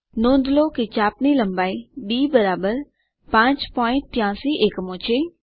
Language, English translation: Gujarati, Notice that the arc length is d=5.83 units